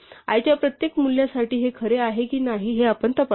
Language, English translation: Marathi, For each of these values of i, we check whether this is true